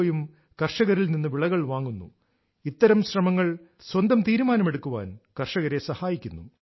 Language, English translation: Malayalam, His own FPO also buys produce from farmers, hence, this effort of his also helps farmers in taking a decision